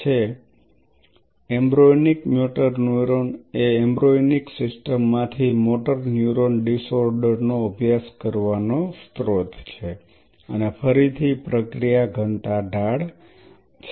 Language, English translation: Gujarati, So, these pure motor neurons which are the embryonic motor neuron EMN embryonic motor neuron are the source of studying motor neuron disorders from embryonic system and again the process is density gradient